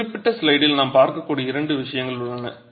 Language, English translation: Tamil, So, in this particular slide there are two things that we can look at